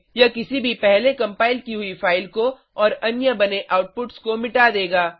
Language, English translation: Hindi, This will delete any previously compiled files and other build outputs